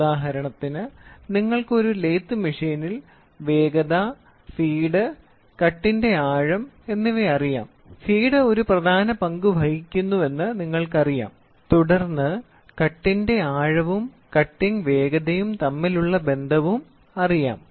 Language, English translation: Malayalam, It gives for example, you have speed, feed, depth of cut in a lathe machine we know feed plays an important role followed by may be a depth of cut may then followed by cutting speed